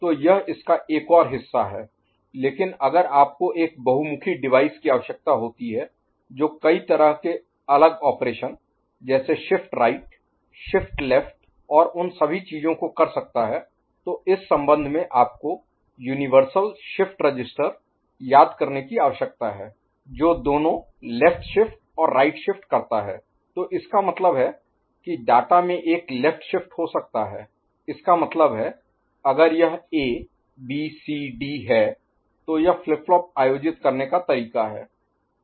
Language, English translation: Hindi, So, that is another part of it, but if you require a versatile device to do which can perform any different operations shift right, shift left and all those things yes, in this connection you need to remember the universal shift register offers both left shift and right shift ok, so that means, data can have a left shift; that means, if it is A, B, C, D this is the way the flip flops are organized